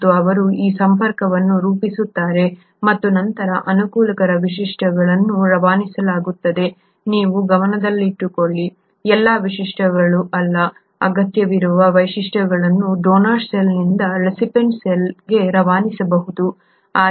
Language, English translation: Kannada, And they form this connection and then the favourable features are passed on, mind you, not all the features, the required features can be passed on from the donor cell to the recipient cell